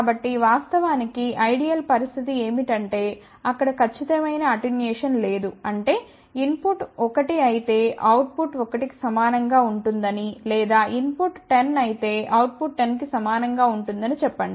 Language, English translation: Telugu, So, ideal situation would be that there is absolutely no attenuation; that means, if input is let us say one output will be equal to 1, ok or if input is 10 output will be equal to 10